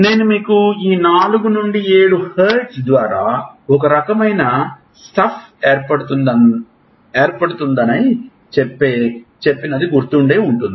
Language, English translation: Telugu, So, if you remember I told you this 4 to 7 hertz riding over this is the type of stuff it happens